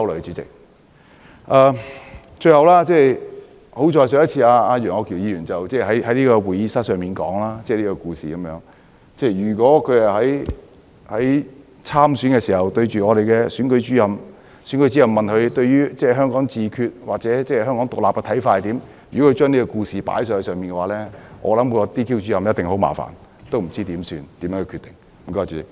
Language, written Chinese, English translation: Cantonese, 最後，幸好上次楊議員只是在會議廳說出這個故事，如果他是在參選的時候對選舉主任這樣說，又或選舉主任問他對於香港自決或獨立的看法為何，而他說出這個故事的話，我想選舉主任一定感到很麻煩，不知怎樣下決定。, Lastly it is fortunate that Mr YEUNG only told this story in this Chamber . If he told this story to the Returning Officers during the election or if he told this story in response to questions about his view on Hong Kong self - determination or Hong Kong independence I believe the Returning Officers will feel troubled and they will have a difficult decision to make